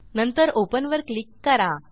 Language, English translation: Marathi, and then I will click on open